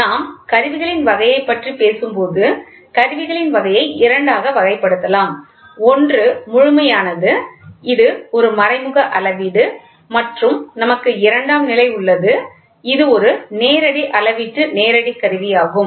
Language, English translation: Tamil, So, the type of instruments can be classified as two; one is absolute, which is an indirect measurement and we have secondary which is a direct measurement direct instrument, right